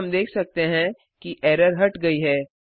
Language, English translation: Hindi, Now we can see that the error has gone